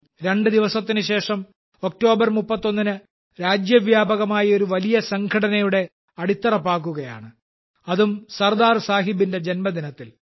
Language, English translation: Malayalam, Just two days later, on the 31st of October, the foundation of a very big nationwide organization is being laid and that too on the birth anniversary of Sardar Sahib